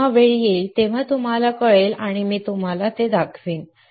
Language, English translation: Marathi, When the time comes, you will know and I will show it to you